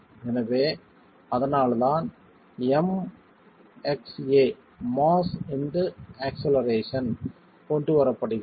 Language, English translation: Tamil, So that's why M into a, mass into acceleration is being brought in